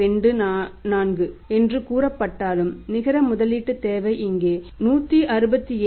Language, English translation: Tamil, 24 was say so the net investment requirement was that is the here is 2 167